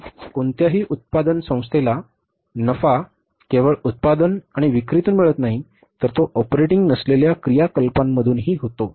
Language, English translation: Marathi, Because profit to any manufacturing organization is not only from the production and sales, it is from the non operating activities also